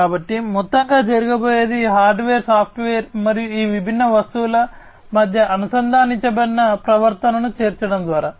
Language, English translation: Telugu, So, in overall what is going to happen is through the incorporation of hardware, software, and the connected behavior between these different objects